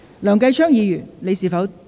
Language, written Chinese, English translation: Cantonese, 梁繼昌議員，你是否打算答辯？, Mr Kenneth LEUNG do you wish to reply?